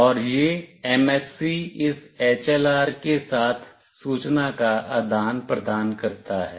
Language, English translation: Hindi, And this MSC exchange information with this HLR